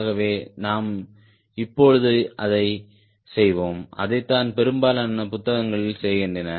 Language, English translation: Tamil, ok, so we will be doing that now, where the most of the book books are doing that